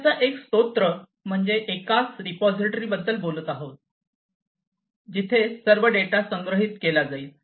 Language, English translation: Marathi, Single source of truth means we are talking about a single repository, where all the data are going to be stored